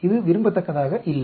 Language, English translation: Tamil, This is not desired